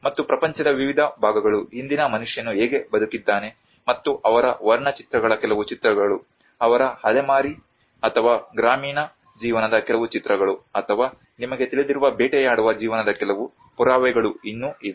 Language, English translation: Kannada, And different parts of the world still carry some evidences that how the earlier man have lived and some images of their paintings, there have been some images of their nomadic or pastoral life or hunting life you know